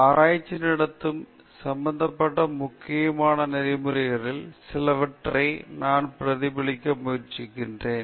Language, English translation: Tamil, I will try to reflect upon some of the important ethical issues involved in conducting research